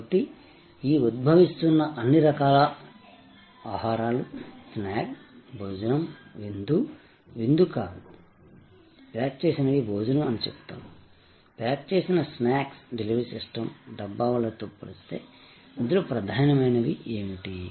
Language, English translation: Telugu, So, all these emerging forms of food, snacks, lunch, dinner, not dinner, but I would say packed lunch, packed snacks delivery system versus the Dabbawalas, what are the key concerns